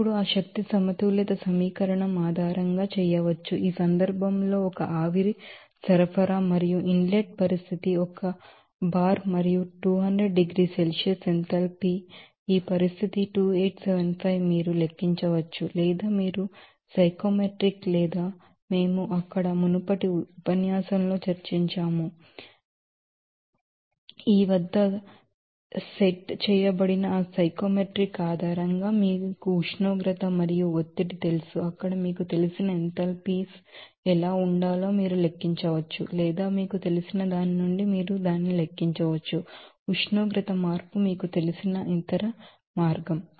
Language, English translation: Telugu, So, it can be done based on that energy balance equation now, in this case 60 kg per hour that is a steam is supplying and inlet condition is one bar and 200 degrees Celsius enthalpy is this condition is 2875 you can calculate or you can have it from you know that psychometrics or that we have you know discussed in earlier lecture there so, based on that psychometric set at this, you know temperature and pressure you can calculate what should be the you know enthalpies there or you can calculate it from a you know, other way from that you know temperature change